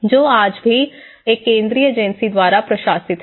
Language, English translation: Hindi, And also, administrate by a central agency